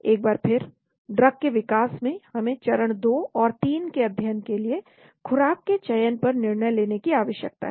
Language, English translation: Hindi, Again in new drug development, we need to decide on dose selection for phase 2 and 3 studies